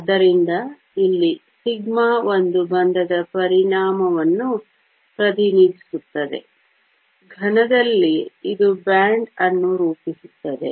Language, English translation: Kannada, So, here this sigma represents the effect of one bond; in the solid, it forms a band